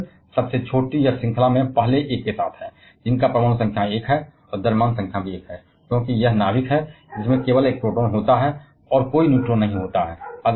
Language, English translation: Hindi, Hydrogen is the smallest one or with the first one in the series; which is having an atomic number of one and also has mass number of one, because it is nucleus contains only a single proton and no neutron